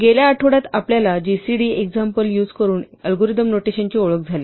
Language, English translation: Marathi, Last week, we were introduced to notation of algorithms using the gcd example